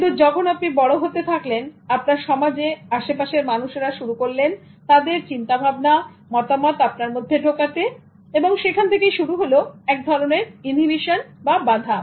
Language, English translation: Bengali, But as you grew up in the society, people started imposing their views on you and that gave you the kind of inhibition